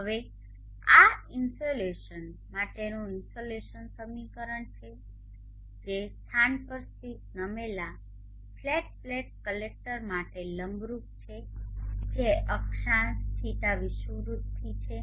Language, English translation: Gujarati, Now this is the insulation equation for the insulation that is incident perpendicular to the tilted flat plate collector located at a locality which is at a latitude